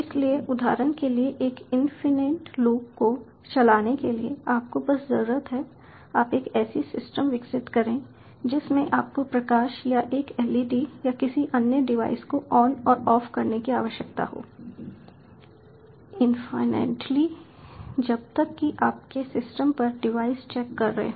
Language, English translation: Hindi, so (Refer Time 03:00) to run an infinite loop, for example, you all you need you develop a system in which ah and which you need to turn on and off a light or a led or any other device infinitely, as long as the devices on your system is checking